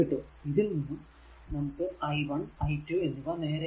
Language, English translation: Malayalam, So, directly you are getting that i 1 and i 2